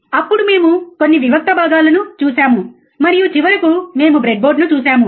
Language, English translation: Telugu, Then we have seen some discrete components and finally, we have seen a breadboard